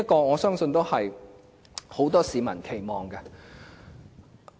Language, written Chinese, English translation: Cantonese, 我相信這是很多市民的期望。, I trust that this is an expectation among many people